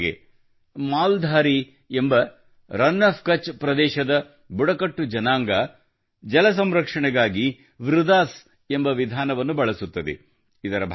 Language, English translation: Kannada, For example, 'Maldhari', a tribe of "Rann of Kutch" uses a method called "Vridas" for water conservation